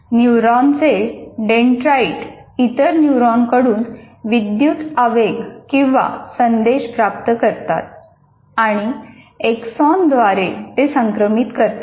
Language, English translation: Marathi, Dendrites of neurons receive electrical impulses from other neurons and transmit them along the axon